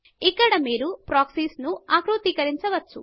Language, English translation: Telugu, Here you can configure the Proxies